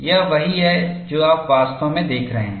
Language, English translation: Hindi, This is what you are really looking at